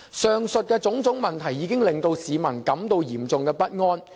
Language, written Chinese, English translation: Cantonese, 上述種種問題已令市民感到嚴重不安。, This is grossly unfair to them . The various problems above have caused great concern among the people